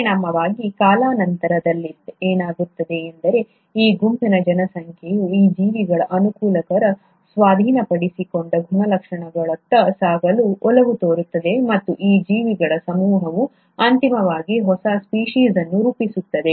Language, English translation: Kannada, As a result, what’ll happen in due course of time is that, this set of population will tend to move towards the favourable acquired characteristics of this set of organisms and it is this set of organisms which then eventually will form a new species